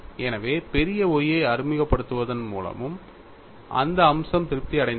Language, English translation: Tamil, So that aspect was also satisfied by introducing capital Y that was the success